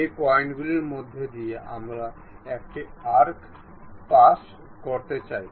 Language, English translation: Bengali, These are the points through which we would like to pass an arc